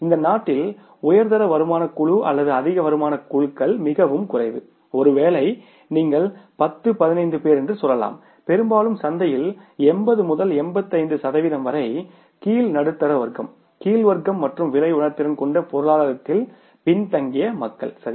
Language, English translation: Tamil, Upper middle income group and higher income groups are very few in this country maybe you can say 10, 15 people, largely 80 to 85 percent of the market is say lower middle class, lower class and the EWS people who are price sensitive